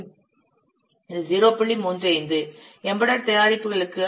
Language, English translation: Tamil, 35 for embedded products the value of exponent is 0